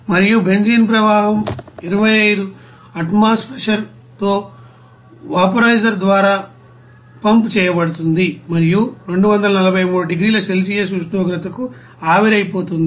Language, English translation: Telugu, And benzene stream is pumped through the vaporizer with 25 atmospheric pressure and vaporized to the temperature of 243 degrees Celsius